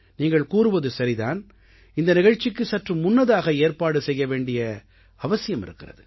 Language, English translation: Tamil, And you are right, that this program needs to be scheduled a bit earlier